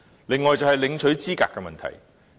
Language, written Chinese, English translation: Cantonese, 此外，是領取資格的問題。, Furthermore eligibility is also an issue